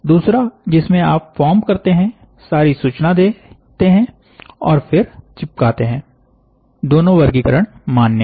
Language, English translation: Hindi, The other one is you form, give all the information and then you stick both categories are allowed